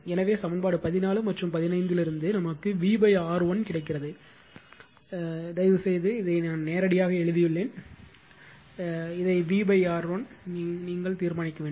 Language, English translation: Tamil, So, from equation 14 and your 15 we get V upon R 1, you please solve this one right I have written directly to save time you please find out what is v upon i 1